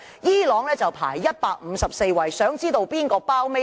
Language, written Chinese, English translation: Cantonese, 伊朗排名154位，想知道哪個地方排名最低？, Irans ranking is 154 in the Index . Do you want to know which country has the lowest ranking?